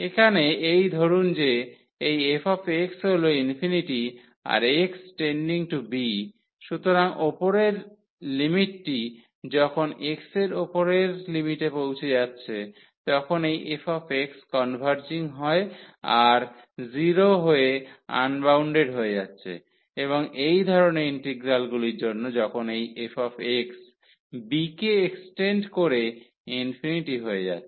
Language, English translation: Bengali, So, here this suppose this f x is infinity as x tending to b; so, the upper limit when x is approaching to upper limit this f x is converging to is going to 0 is becoming unbounded and for such type of integrals when this f x is approaching to infinity as extending to b